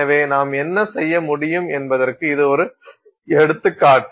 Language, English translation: Tamil, So, this is just an example of what you could do